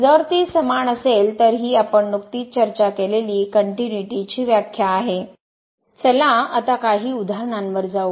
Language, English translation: Marathi, If this is equal, then this is the definition of the continuity we have just discussed